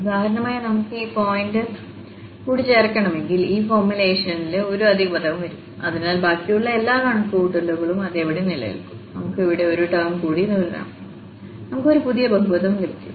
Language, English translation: Malayalam, If we want to add one more point for instance, then one extra term will be coming in this formulation, but the rest all the calculation will remain as it is and we can continue just having one more term there and we will get a new polynomial